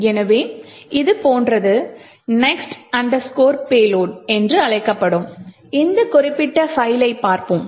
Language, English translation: Tamil, So, we would look at this particular file called next underscore payload which looks something like this